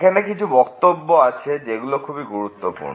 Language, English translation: Bengali, There are few remarks which are of great importance